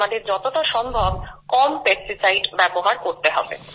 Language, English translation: Bengali, Accordingly, we have used minimum pesticides